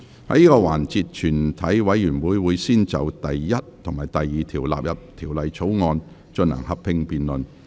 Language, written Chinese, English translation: Cantonese, 在這個環節，全體委員會會先就第1及2條納入條例草案，進行合併辯論。, In this session the committee will first proceed to a joint debate on clauses 1 and 2 standing part of the Bill